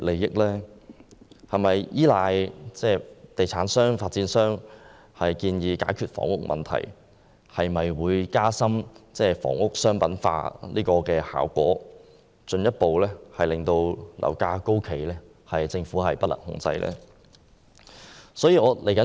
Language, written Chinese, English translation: Cantonese, 如果政府依賴地產商的建議解決房屋問題，會否加深房屋商品化的效果，進一步推高樓價，令政府不能控制？, If the Government relies on the opinions of property developers to resolve the housing problem will the effect of commercialization of housing be enhanced resulting in property prices being pushed up and getting out of the Governments control?